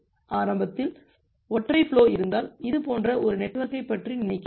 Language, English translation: Tamil, So, initially if you have a single flow, so we just think of a network like this